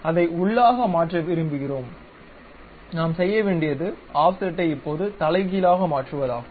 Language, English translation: Tamil, We want to change that to inside, what we have to do is use Offset now make it Reverse